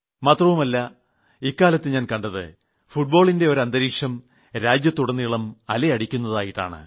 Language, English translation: Malayalam, And these days I have noticed that a conducive atmosphere for Football can be seen in the whole country